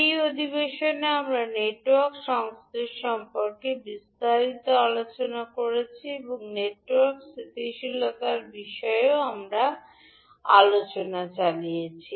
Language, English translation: Bengali, So in this session, we discussed about the Network Synthesis in detail and also carried out our discussion on Network Stability